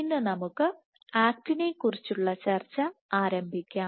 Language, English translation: Malayalam, So, today we will get started with discussing actin